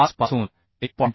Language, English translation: Marathi, 075 to 1